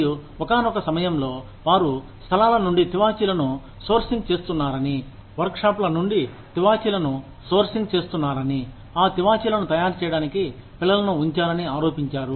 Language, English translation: Telugu, And, at one point of time, they were accused of, sourcing carpets, from places, where or, sourcing carpets from workshops, where children were put to make, those carpets